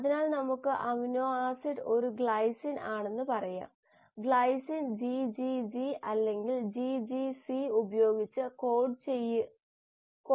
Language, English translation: Malayalam, So let us say the amino acid is a glycine, the glycine can be coded by GGG or GGC